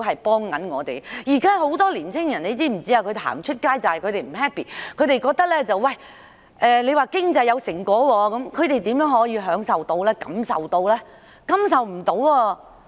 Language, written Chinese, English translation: Cantonese, 現時很多青年人走到街頭，正是因為他們感到不開心，我們經常說的經濟成果，他們又可以享受和感受得到嗎？, Many young people have taken to the street because they simply do not feel good and with regard to the fruits of economic development that we often talk about can they have a share and feel them?